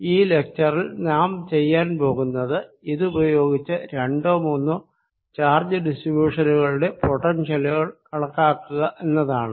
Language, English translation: Malayalam, what we will do in this lecture is use this to calculate potentials for a two or three charge distributions